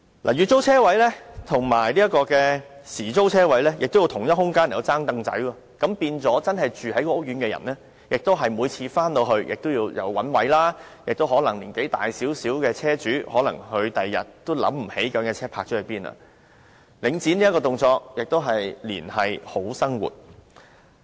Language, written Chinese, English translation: Cantonese, 月租車位和時租車位在相同空間"爭櫈仔"，令真正住在該屋苑的人每次泊車時都要找車位，年紀稍大的車主亦可能在翌日想不起把車輛泊了在哪裏，領展這動作同樣是"連繫好生活"。, Tenants of monthly parking spaces have to compete for the same spaces with drivers paying at hourly rates . As a result drivers who live in the housing estate have to find a parking space everytime he wishes to park his vehicle and the older car owners may not remember where his vehicle was parked the day before . This very act of Link REIT has again linked people to a brighter future